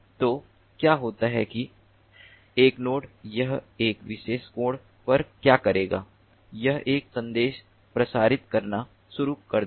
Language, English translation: Hindi, so what happens is that one node, what it will do, it will at a particular angle, it will start broadcasting a message